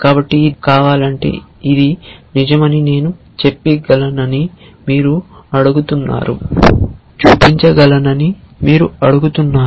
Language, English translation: Telugu, So, you are asking that if this has to be true then can I show that this is true